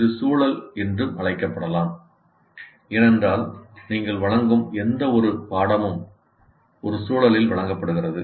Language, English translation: Tamil, It can also be called context because any course that you offer is offered in a particular context